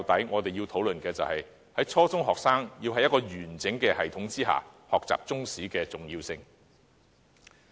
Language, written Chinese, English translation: Cantonese, 我們認為，初中學生在一個完整系統下學習中史非常重要。, We think that it is very important for junior secondary students to learn Chinese history under a sound system